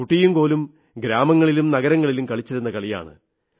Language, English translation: Malayalam, This is a game that is played across villages and cities